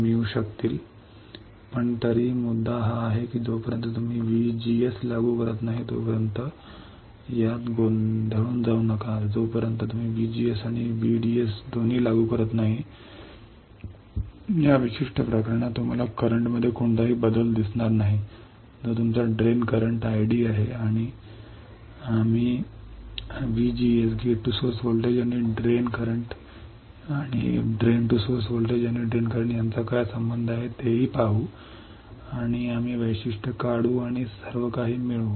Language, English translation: Marathi, In this particular case you will not see any change in current that is your drain current ID We will also see what is the relation between VGS and ID, VDS and ID and we will draw the characteristics and derive everything